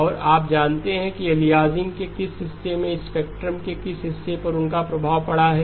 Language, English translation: Hindi, And you know which portion of the aliasing, which portion of the spectrum they affected